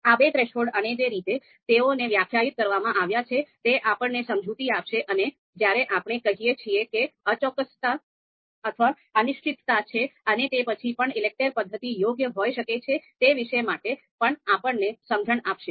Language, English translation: Gujarati, So these thresholds these two thresholds and the way they are defined will also give you an idea, will also give you a sense about when we say that imprecise or uncertain data if that is there, even then you know ELECTRE method in that situation ELECTRE method can be suitable